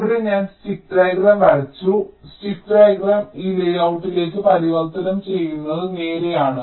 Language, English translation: Malayalam, so once here i have drawn the stick diagram, it is rather straight forward to convert the stick diagram into this layout